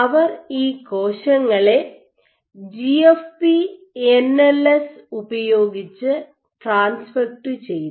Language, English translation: Malayalam, So, what they did was they transfected these cells with GFP NLS